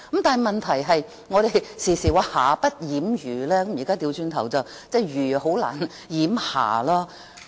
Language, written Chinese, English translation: Cantonese, 但問題是，我們時常說"瑕不掩瑜"，現在要倒過來說，瑜難以掩瑕。, Yet the problem is we often say that the defects cannot obscure the virtues but now we have to say it the other way round . The virtues can hardly obscure the defects